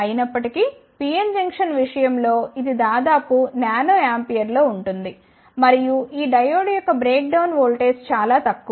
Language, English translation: Telugu, However, in case of PN Junction it is of the order of Nano ampere and the breakdown voltage for this diode is relatively less